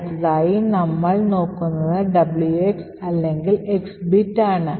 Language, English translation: Malayalam, So, the next thing which we will look at is the WX or X bit